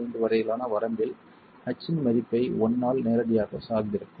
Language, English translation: Tamil, 5, it will depend directly on the value of H by L